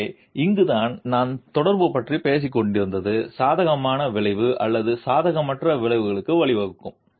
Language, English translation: Tamil, So, this is where I was talking about the interaction can lead to a favourable effect or an unfavorable effect